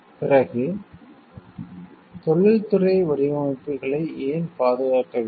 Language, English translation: Tamil, Then why it is necessary to protect industrial designs